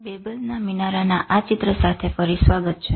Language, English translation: Gujarati, So, welcome again with this picture of Tower of Babel